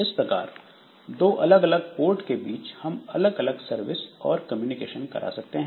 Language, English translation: Hindi, So, for two different ports, so we can associate different services